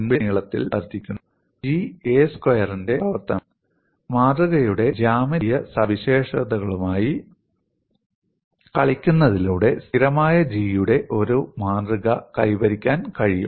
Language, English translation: Malayalam, G increases as square of crack length; G is a function of a square; by playing with the geometric properties of the specimen, it is possible to have a specimen of constant G